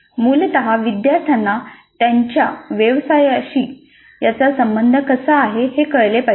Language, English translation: Marathi, What is essentially is that the students see the relevance of what they are learning to their profession